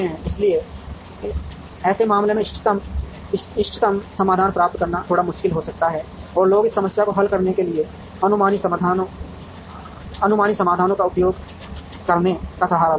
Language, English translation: Hindi, So, in such cases getting the optimum solution can be bit difficult and people would resort to using heuristic solutions to solve this problem